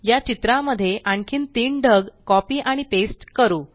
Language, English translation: Marathi, Now, lets copy and paste three more clouds to this picture